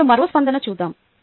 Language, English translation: Telugu, lets look at one more response